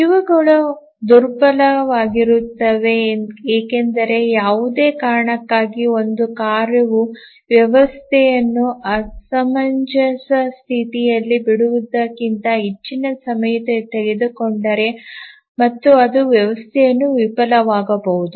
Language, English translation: Kannada, These are fragile because if for any reason one of the tasks takes longer then it may leave the system in inconsistent state and the system may fail